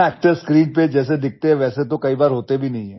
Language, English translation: Hindi, Actors are often not what they look like on screen